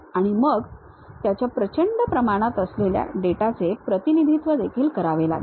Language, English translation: Marathi, Then, its enormous amount of data one has to really represent